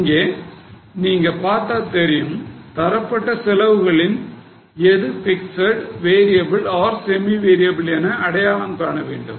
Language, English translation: Tamil, Now you can see here costs are given and you have to identify them as fixed variable or semi variable